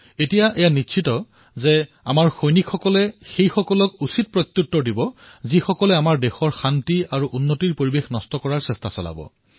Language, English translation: Assamese, It has now been decided that our soldiers will give a befitting reply to whosoever makes an attempt to destroy the atmosphere of peace and progress in our Nation